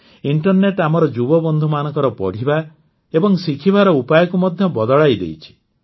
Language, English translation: Odia, The internet has changed the way our young friends study and learn